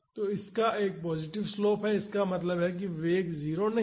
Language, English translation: Hindi, So, this has a positive slope so; that means, the velocity is not 0